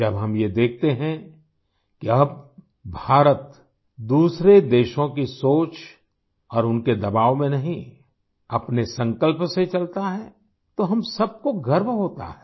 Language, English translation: Hindi, When we observe that now India moves ahead not with the thought and pressure of other countries but with her own conviction, then we all feel proud